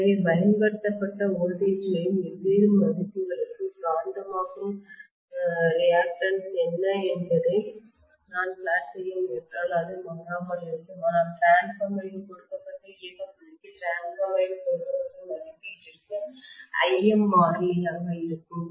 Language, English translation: Tamil, So if I try to plot what is the magnetising reactance for different values of applied voltages it would not be a constant it would be a changing but for a given rating of the transformer for a given operating point of the transformer Lm will be a constant, right